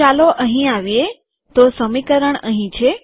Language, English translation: Gujarati, So lets come here – so the equation is here